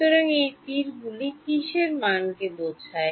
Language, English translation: Bengali, So, this arrows refer to values of what